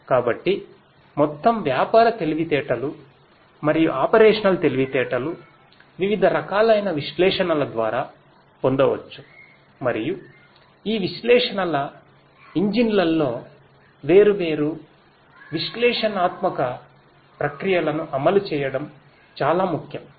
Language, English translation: Telugu, So, overall business intelligence and operational intelligence can be derived through different types of analytics and running different analytical processes in these analytics engines is very important